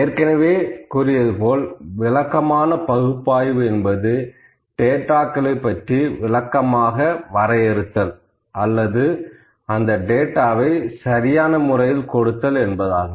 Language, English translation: Tamil, As I said before descriptive analytics tells or it directs towards defining or explaining the data or presenting the data in a proper way